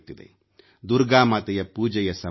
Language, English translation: Kannada, It is a time for praying to Ma Durga